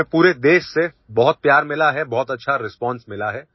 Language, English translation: Hindi, We have received a lot of affection from the entire country and a very good response